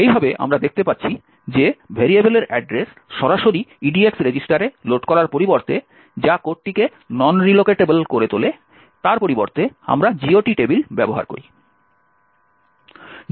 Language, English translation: Bengali, Thus, we see that instead of directly loading the address of the variable into the EDX register which is making the code non relocatable, instead we use the GOT table